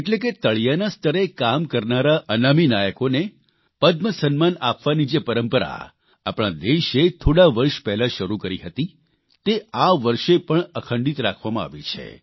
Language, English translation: Gujarati, Thus, the tradition of conferring the Padma honour on unsung heroes that was started a few years ago has been maintained this time too